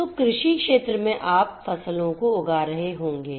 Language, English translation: Hindi, So, agricultural field you know in the field you would be growing the crops